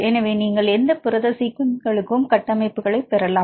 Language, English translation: Tamil, So, you can get the structures for any protein sequences